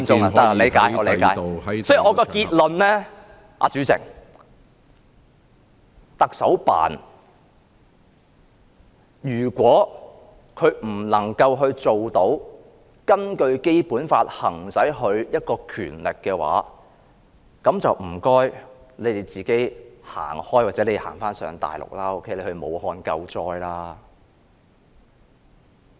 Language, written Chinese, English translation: Cantonese, 所以，主席，我的結論是，如果特首辦無法根據《基本法》行使其權力，就請他們自行離開，或去大陸，到武漢救災。, As such President my conclusion is that if the Chief Executives Office is unable to exercise its power under the Basic Law its staff members should leave on their own or go to the Mainland or specifically Wuhan to engage in disaster relief operations